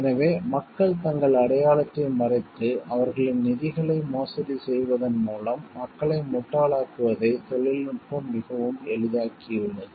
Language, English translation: Tamil, So, like the technology has made people made it very easy for people to contact people by hiding their identity and make fools of them by embezzling their funds